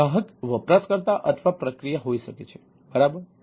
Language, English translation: Gujarati, right, the customer can be a user or a process, right